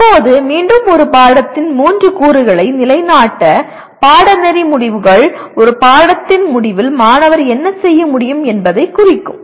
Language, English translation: Tamil, Now once again to reinstate the three elements of a course are Course Outcomes, representing what the student should be able to do at the end of a course